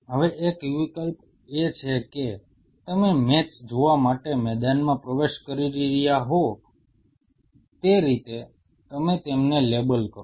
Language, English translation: Gujarati, Now one option is that you label them just like you are entering the arena to see a match